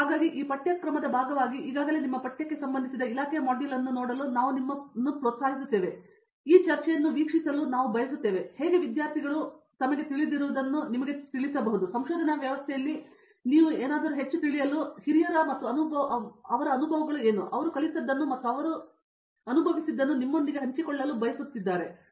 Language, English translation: Kannada, So I encourage you to look at the department module related to your department which is already put up on this course, as part of this course material, but I would also like you to watch this discussion to see how students, who are you know little bit more senior than you in this research setting and what their experiences have been, what they have learnt and what is it that they would like to share with you